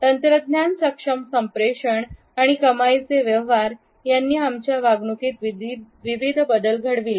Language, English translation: Marathi, Technology enabled communications and earning transactions bring about various changes in our behaviours